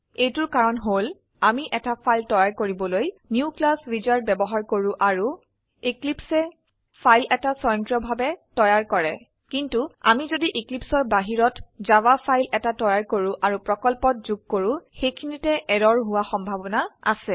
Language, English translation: Assamese, This is because we use the New Class wizard to create a file and eclipse creates a file automatically But if we create a Java file outside of Eclipse and add it to a project, their is the chance of the error So let us stimulate the error , by changing the class name